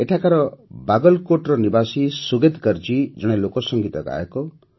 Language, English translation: Odia, Sugatkar ji, resident of Bagalkot here, is a folk singer